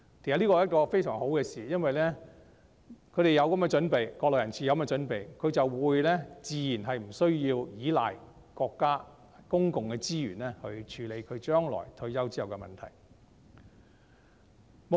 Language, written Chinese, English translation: Cantonese, 這是一件非常好的事，因為國內人士有這樣的準備，自然無須倚賴國家的公共資源來處理將來退休之後的問題。, This is a very good phenomenon because it goes without saying that the Mainlanders who have made such preparations do not need to rely on national public resources to deal with their future retirement problems